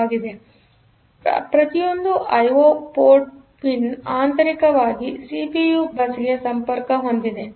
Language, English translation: Kannada, So, each pin of the I O port; so, it is internally connected to the CPU bus